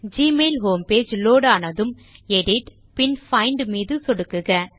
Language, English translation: Tamil, When the gmail home page has loaded, click on Edit and then on Find